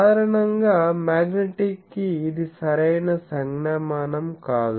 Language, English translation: Telugu, Generally, for magnetic this is not a correct notation